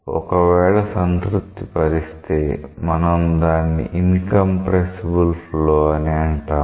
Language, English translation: Telugu, If it satisfies this equation, we say that it is an incompressible flow